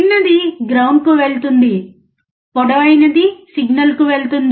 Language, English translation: Telugu, Shorter one goes to ground; Longer one goes to the signal